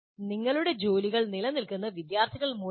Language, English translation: Malayalam, So, our jobs exist because of the students